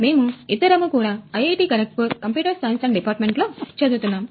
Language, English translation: Telugu, We both are from Department of Computer Science IIT, Kharagpur